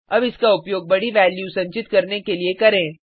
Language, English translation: Hindi, Let us use it to store a large value